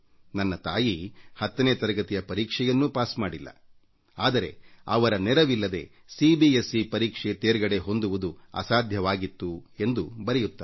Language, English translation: Kannada, My mother did not clear the Class 10 exam, yet without her aid, it would have been impossible for me to pass the CBSE exam